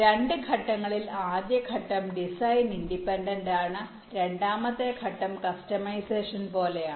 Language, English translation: Malayalam, the first step is design independent and the second step is more like customization